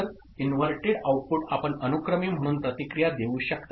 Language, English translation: Marathi, So, that inverted output you can feedback as serially